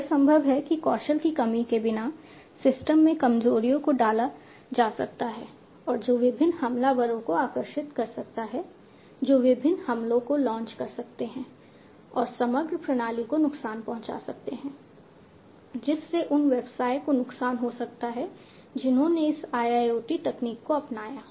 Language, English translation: Hindi, It is possible that without the lack of skills, vulnerabilities might be put in into the system, and which might attract different attackers who can launch different attacks and cause harm to the overall system thereby resulting in loss to the business, who have adopted this IIoT technology